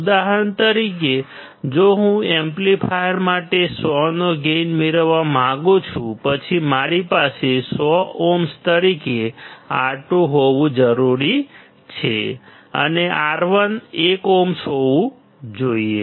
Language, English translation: Gujarati, For example, if I want to have a gain of 100 for the amplifier; then I need to have R2 as 100ohms, and R1 should be 1ohm